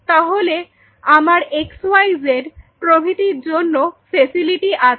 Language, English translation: Bengali, So, I was facility for xyz likewise